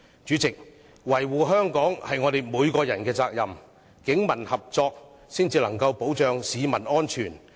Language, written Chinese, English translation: Cantonese, 主席，維護香港是我們每個人的責任，警民合作才可以保障市民安全。, President it is the duty of every one of us to safeguard Hong Kong . Only with the cooperation between the Police and civilians can the safety of the public be protected